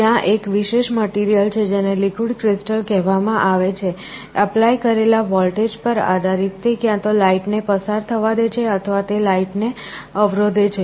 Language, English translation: Gujarati, There is a special material that is called liquid crystal; depending on a voltage applied, it either allows light to pass through or it blocks light